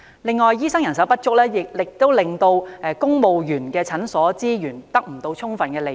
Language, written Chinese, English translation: Cantonese, 此外，醫生人手不足亦令公務員診所的資源未獲充分利用。, One more thing is that the shortage of doctors has come to cause the under - utilization of resources in government families clinics